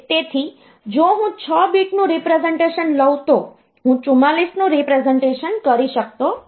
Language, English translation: Gujarati, So, if I take say a representation of 6 bit, I cannot represent 44